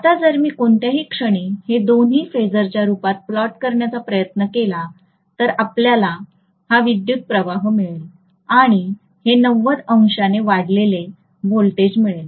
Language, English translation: Marathi, So if I try to plot both of these in the form of phasor at any instant if I say this is what is my current, then I am going to have the voltage leading by 90 degrees